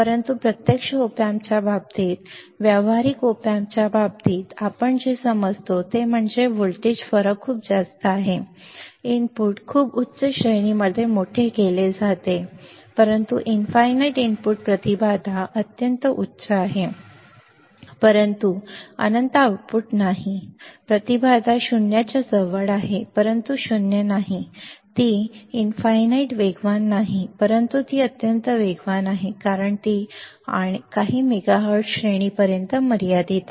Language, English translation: Marathi, But in case of actual op amp, in case of practical op amp, what we understand is the voltage difference is very high the input is magnified at a very high range, but not infinite input impedance is extremely high, but not infinite output impedance is close to zero, but not zero, the it is not infinitely fast, but it is extremely fast, and it has it is limited to few megahertz range right